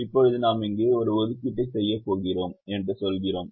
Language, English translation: Tamil, now we say that we are going to make an assignment here